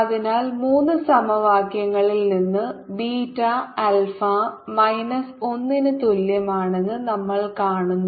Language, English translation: Malayalam, so from equations three we see that beta is equal to alpha minus one